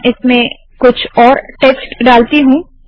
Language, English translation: Hindi, Let me put some more text here